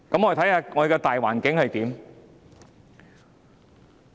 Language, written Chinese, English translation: Cantonese, 我們看看大環境如何？, Let us look at the general environment